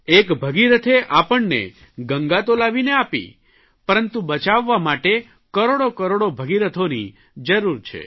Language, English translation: Gujarati, Bhagirath did bring down the river Ganga for us, but to save it, we need crores of Bhagiraths